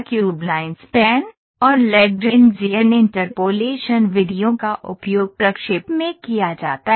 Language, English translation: Hindi, Cubic spline, and Lagrangian interpolation methods are used in interpolation